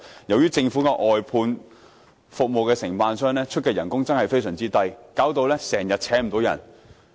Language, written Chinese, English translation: Cantonese, 由於政府的外判服務承辦商所給予的工資真的非常低，導致經常聘請不到人手。, Since the wages offered by the outsourced service contractors are really extremely low they face a constant shortage of manpower